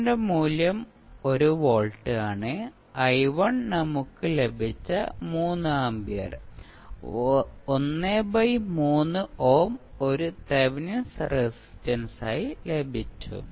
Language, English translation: Malayalam, V naught value is 1 volt, and I1 we have just calculated as 3 ampere we get, 1 by 3 ohm as a Thevenin resistance